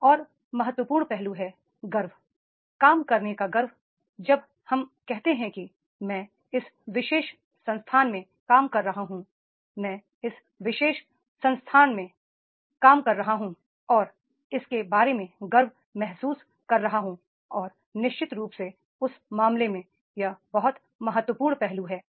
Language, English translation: Hindi, Another important aspect is that is the pride, pride of working like when we say I am working in this particular institute, I am working up in this particular organization and feeling the pride about it and then definitely in that case that becomes a very very important aspects is there